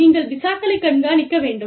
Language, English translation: Tamil, And, you need to keep track of visas